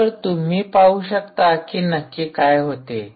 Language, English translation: Marathi, so lets see what actually happens there